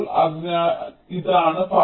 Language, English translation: Malayalam, so this will be the path now